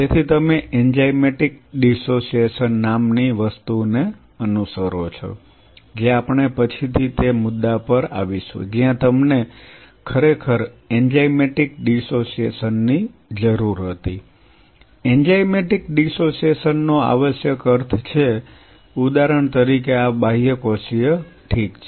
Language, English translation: Gujarati, So, you follow something called enzymatic dissociation we will come later where you really needed enzymatic dissociation, enzymatic dissociation essentially means say for example, these extracellular ok